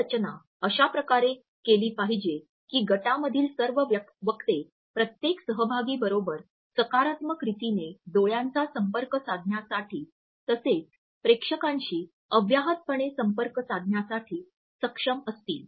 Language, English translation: Marathi, It should be designed in such a way that all these speakers are able to look at each other maintain a positive eye contact with every other participant in the panel as well as they have an unobstructed eye contact with the audience also